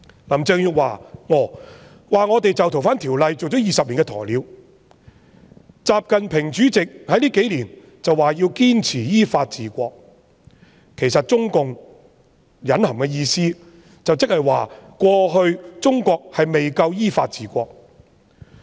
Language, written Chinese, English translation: Cantonese, 林鄭月娥說我們就《逃犯條例》做了20年"鴕鳥"，主席習近平近數年則說要堅持依法治國，其實中共隱含的意思即是過去中國未夠依法治國。, Carrie LAM said that we had been acting like an ostrich in respect of FOO in the past two decades whereas President XI Jinping has been upholding the insistence on ruling the country by law in recent years . In fact the Communist Party of China has implicitly implied that China was not adequately ruled by law in the past